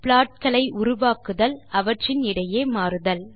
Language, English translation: Tamil, Create subplots to switch between them